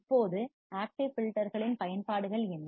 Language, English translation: Tamil, Now, what are the applications of active filters